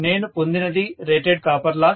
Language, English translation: Telugu, What I have got is rated copper loss